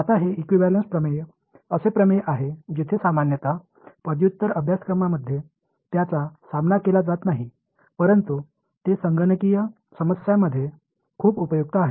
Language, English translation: Marathi, Now, this equivalence theorems are theorems where usually they are not encountered in undergraduate course, but they are very useful in computational problems